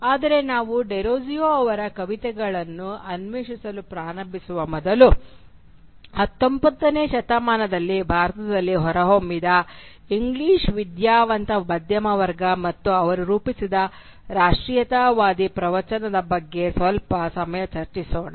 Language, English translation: Kannada, But before we start exploring the poems of Derozio, let us dwell a little longer on the English educated middle class which emerged in India during the 19th century and the nationalist discourse that they forged